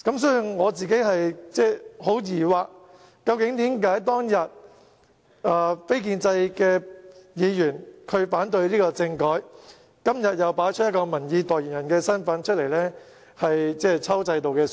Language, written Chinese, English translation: Cantonese, 所以，我感到十分疑惑的是，為何當日非建制派議員反對政改，今天卻擺出民意代言人的姿態，抽制度的水？, Therefore I am very perplexed why non - establishment Members opposed the constitutional reform package at that time but they present themselves as the representatives of public opinion today cashing in on the system